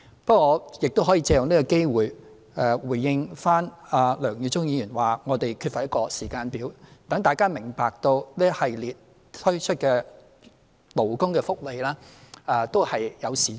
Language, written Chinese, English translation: Cantonese, 梁耀忠議員亦指我們缺乏一個時間表，我想藉此機會回應，讓大家明白這一系列推出的勞工福利措施都是有時序的。, Mr LEUNG Yiu - chung also pointed out that we lack a timetable . I would like to take this opportunity to give a response so that Members will understand that this series of improvement measures for labour welfare will be launched in sequence